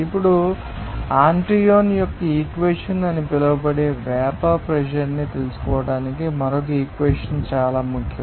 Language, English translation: Telugu, Now, another equation is very important to find out that vapour pressure this called Antoine’s equation